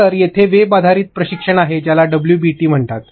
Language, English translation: Marathi, So, let me just run you through them there is web based training which is called WBTs